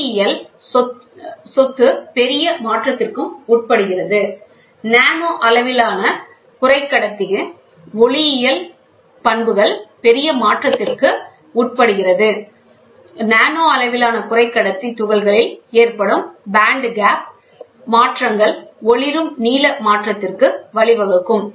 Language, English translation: Tamil, The optical property also undergoes major change, the band gap changes in nanoscale semiconductor particles lead to a blue shift of luminescence